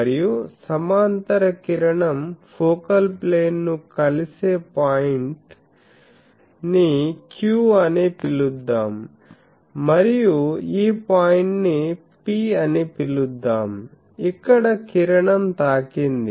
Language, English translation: Telugu, And, the point where the parallel ray meets the focal plane let me call that as point Q and this point let me call it P, where the ray has hit